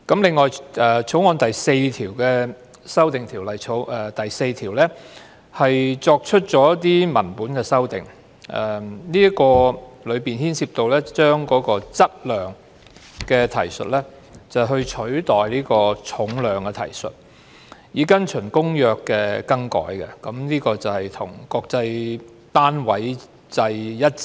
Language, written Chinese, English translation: Cantonese, 此外，《條例草案》第4條的修訂，是作出一些文本修訂，當中牽涉以對"質量"的提述，取代對"重量"的提述，以跟從《公約》的更改，這種做法是要與國際單位制一致。, Besides clause 4 of the Bill seeks to make some textual amendments . They involve among others replacing the references to weight by mass so as to follow the change adopted in the Convention to align with the International System of Units